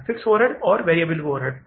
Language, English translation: Hindi, Fix overheads and variable overheads